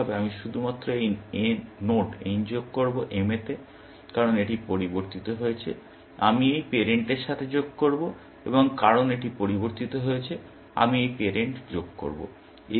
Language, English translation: Bengali, Initially, I will add only this node n to m, because it has changed; I will add to this parent, and because this has changed; I will add this parent